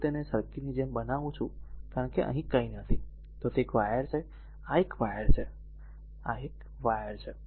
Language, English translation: Gujarati, If I make it like this this circuit, because here nothing is there it is ah it is an wire, it is a wire and it is a wire